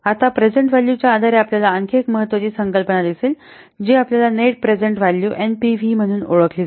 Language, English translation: Marathi, Now, based on the present value, another important concept you will see that is known as net present value